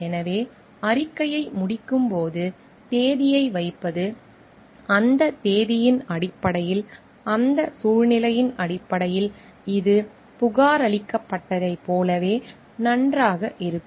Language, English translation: Tamil, So, putting on the date on the like when the report is getting done, so based on that date on that situation this holds good like whatever has been reported holds good